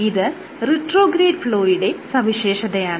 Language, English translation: Malayalam, So, there is negligible retrograde flow